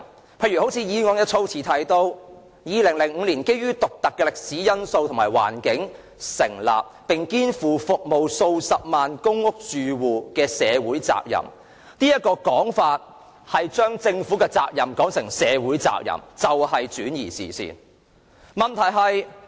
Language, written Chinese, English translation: Cantonese, 舉例來說，議案的措辭提到 "2005 年基於獨特的歷史因素及環境而成立，並肩負着服務數十萬公屋住戶的社會責任"，這種說法便是將政府的責任說成是社會的責任，轉移視線。, For instance the wording of the motion states that Link REIT was established in 2005 due to unique historical factors and environment and entrusted with the social responsibility of serving hundreds of thousands of public housing households . Such a presentation seeks to make the responsibility of the Government that of society a diversion of the focus of the public